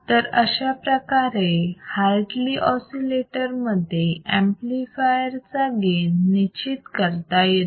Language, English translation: Marathi, So, this is how the gain of the amplifier can be determined in case of the Hartley oscillator